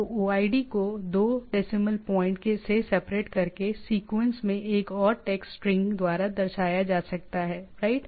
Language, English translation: Hindi, So, the OID can be represented as a sequence of integers separated by 2 decimal point or a and by a text string, right